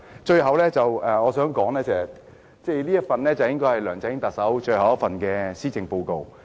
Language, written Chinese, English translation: Cantonese, 最後，我想談的是，這份應該是特首梁振英最後一份施政報告。, Finally what I would like to say is that this Policy Address should be the swansong address of Chief Executive LEUNG Chun - ying